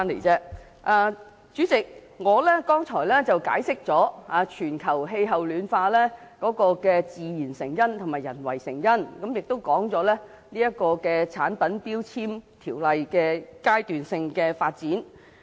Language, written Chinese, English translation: Cantonese, 主席，我剛才解釋了全球暖化的自然因素及人為因素，亦講述了強制性標籤計劃的階段性發展。, President just now I accounted for the natural and human causes for global warming and the phased development of MEELS